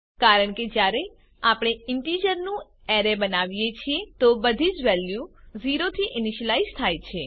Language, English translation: Gujarati, This is because when we create an array of integers, all the values are initialized to 0